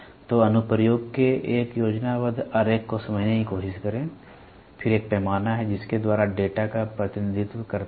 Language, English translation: Hindi, So, try to understand a schematic diagram of the application, then, there is a scale by which they represent the data